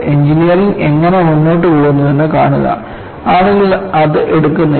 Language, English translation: Malayalam, See this is how engineering proceeds;people do not take it